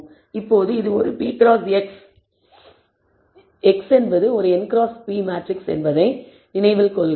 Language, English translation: Tamil, Now, this is a p cross, remember X is a n cross p matrix